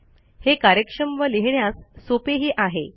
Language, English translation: Marathi, It is easier to write and much more efficient